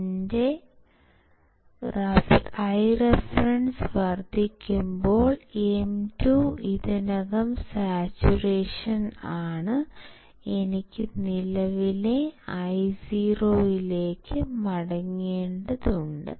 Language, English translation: Malayalam, When my I reference increases my M 2 is already in saturation right, I need to go back towards the current Io